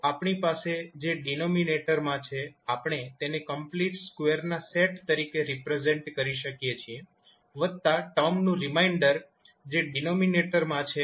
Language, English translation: Gujarati, So, whatever we have in the denominator, we can represent them as set of complete square plus remainder of the term which are there in the denominator